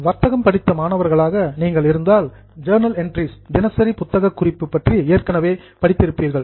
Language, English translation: Tamil, Now, those of you who are commerce students, you would have already studied journal entries